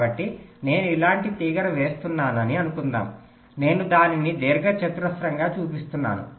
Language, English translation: Telugu, so suppose i am laying a wire like this, i am showing it as a rectangle, so as an alternative, i could have made it wider